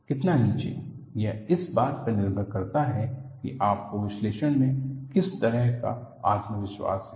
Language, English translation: Hindi, How below, depends on what kind of a confidence level you have in your analysis